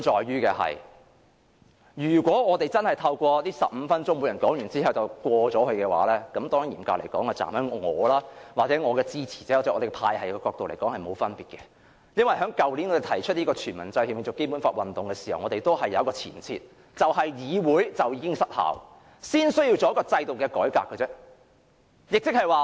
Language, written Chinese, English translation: Cantonese, 如果我們真的透過這15分鐘作出討論，每人說完後便通過修訂，嚴格來說，從我或我的支持者的角度來看，是沒有分別的，因為我們去年提出"全民制憲永續《基本法》"運動時，已有一個前設，就是議會已經失效，因此才需要作出制度的改革。, If we really conduct our discussion through this 15 - minute speaking time and pass the amendments after everyone has finished his speech strictly speaking it makes no difference from my angle or that of my supporters because when we proposed the movement of devising the constitution by all people and sustaining the Basic Law forever last year we already held the premise that the Council has failed . That is why we need to reform the system